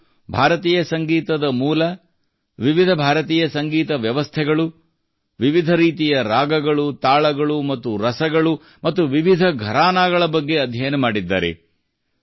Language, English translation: Kannada, He has studied about the origin of Indian music, different Indian musical systems, different types of ragas, talas and rasas as well as different gharanas